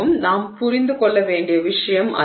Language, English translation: Tamil, So, that is something that we need to understand